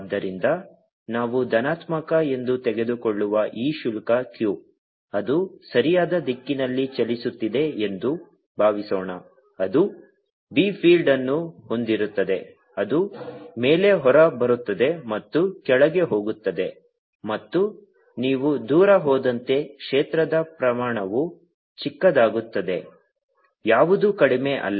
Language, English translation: Kannada, so this charge q, which we take to be positive suppose it is moving the right direction it will have a b filled, which is coming out on top and going in the bottom, and as you go away, field magnitude become smaller, not the less